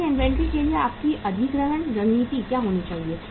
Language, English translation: Hindi, So what should be your acquisition strategy for the inventory